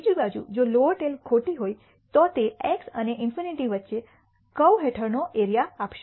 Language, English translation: Gujarati, On the other hand if lower tail is FALSE, then it will give the in area under the curve between x n infinity